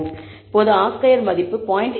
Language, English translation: Tamil, So, the R squared value improves from 0